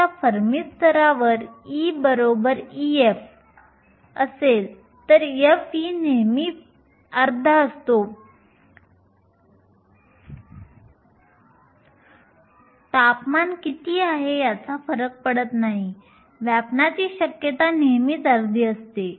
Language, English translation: Marathi, Now at the Fermi level e equal to e f, f of e is always one half; does not matter what the temperature is the probability of occupation is always half